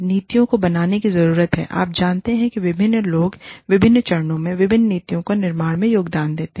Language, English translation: Hindi, The policies need to be, made by a, you know, different people will be contributing, to the formulation of different policies, at different stages